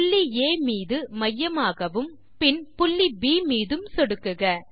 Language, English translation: Tamil, Click on the point A as centre and then on point B